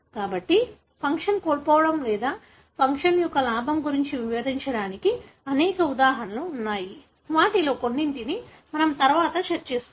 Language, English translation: Telugu, So, there are a number of examples for explaining the loss of function or gain of function some of which we will be discussing later